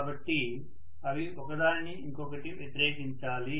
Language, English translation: Telugu, So they have to oppose each other